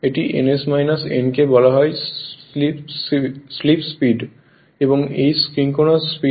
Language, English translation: Bengali, This is ns minus n is called slip speed and this is your synchronous speed